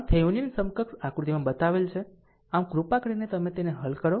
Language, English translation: Gujarati, So, Thevenin equivalent shown in figure; so, this is you please solve it right